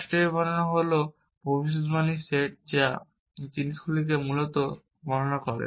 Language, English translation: Bengali, The state description is the set of predicates which is describing this thing essentially